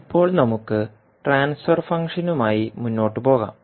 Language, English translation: Malayalam, Now, let us proceed forward with the transfer function